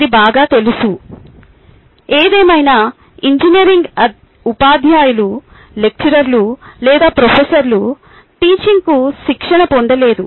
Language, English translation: Telugu, however, engineering teachers, lecturers or professors have never been trained to teach